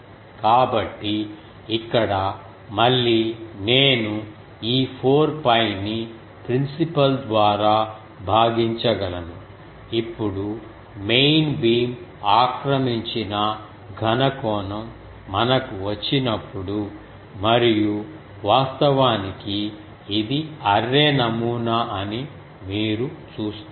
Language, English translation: Telugu, So, here again I can approximate this 4 pi divided by principal you see; solid angle occupied by main beam now while we came and actually you see our this is the array pattern